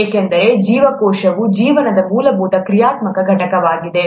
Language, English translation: Kannada, Because cell is the fundamental functional unit of life